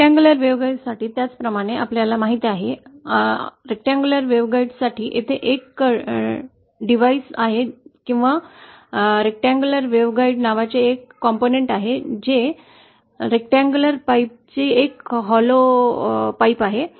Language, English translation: Marathi, Now for a rectangular, similarly you know, for a rectangular waveguide, there is a device called, or a component called a rectangular waveguide, which is just a hollow of a rectangular pipe, like this